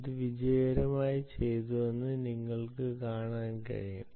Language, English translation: Malayalam, you can see that this was done successfully